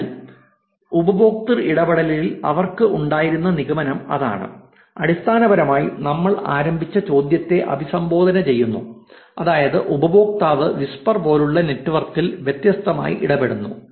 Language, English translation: Malayalam, So, that is the conclusion that they had in the user engagement, that is basically kind of addresses the question that we started off with, which is do user's engaged differently in a network like whisper